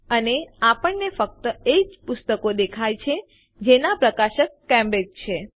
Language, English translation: Gujarati, and we see only those books for which the publisher is Cambridge